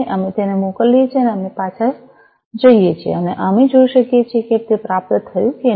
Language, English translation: Gujarati, So, we send it, and we go back, and we can see whether it has been received or, not